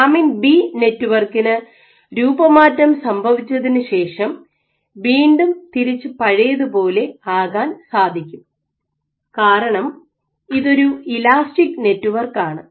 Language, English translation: Malayalam, So, the lamin B network when it deforms after deformation is removed, because it is an elastic network